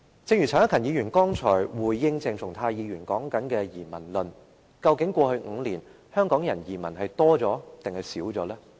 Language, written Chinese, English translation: Cantonese, 正如陳克勤議員剛才回應鄭松泰議員的發言時提出移民論，究竟在過去5年，香港人移民的數目是增加了，還是減少了？, In light of the theory of emigration mentioned just now by Mr CHAN Hak - kan in response to Dr CHENG Chung - tais speech after all did the number of people emigrating from Hong Kong increase or decrease in the past five years?